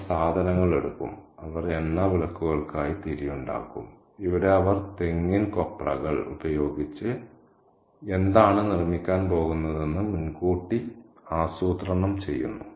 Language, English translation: Malayalam, She will be picking up stuff, she will be making wicks for oil lamps and here she is planning ahead as to what she is going to make with coconut kernel